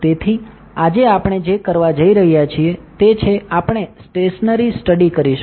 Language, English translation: Gujarati, So, today what we are going to do is, we will do a perform stationary study